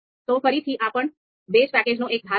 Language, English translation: Gujarati, So again, this is also part of the base package